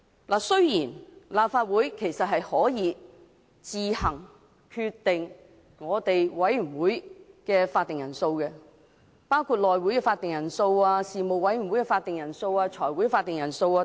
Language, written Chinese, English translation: Cantonese, 當然，立法會可以自行決定委員會的法定人數，包括內務委員會、各事務委員會、財務委員會的法定人數。, Of course Legislative Council may decide on its own the quorums for its committees including the quorums for the House Committee various Panels and the Finance Committee